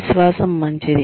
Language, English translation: Telugu, Confidence is good